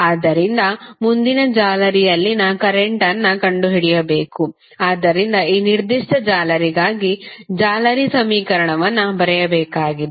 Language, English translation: Kannada, We have to next find out the current in other mesh, so you have to just write the mesh equation for this particular mesh